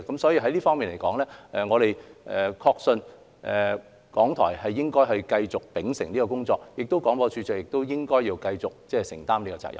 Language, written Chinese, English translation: Cantonese, 所以，在此方面，我們確信港台應該繼續秉承這工作，而廣播處長亦應該繼續承擔這個責任。, Therefore in this regard we are convinced that RTHK should continue its work along the same lines and the Director of Broadcasting should continue to shoulder this responsibility